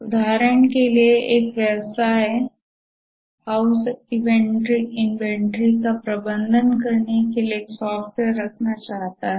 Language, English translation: Hindi, For example, a business house wants to have a software to manage the inventory